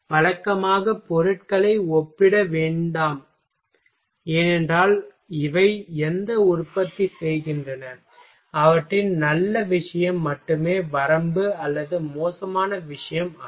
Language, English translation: Tamil, Usually do not compare materials because these manufacture what they so, only their good thing not limitation or bad thing ok